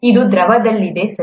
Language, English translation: Kannada, This is in the liquid, okay